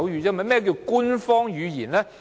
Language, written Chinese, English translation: Cantonese, 何謂官方語言呢？, What is an official language?